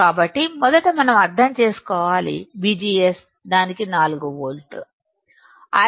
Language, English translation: Telugu, So, first we should understand that V G S on its 4 volts, I D on its 3